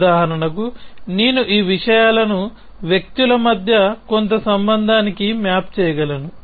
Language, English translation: Telugu, For example, I could map these things to some relation between people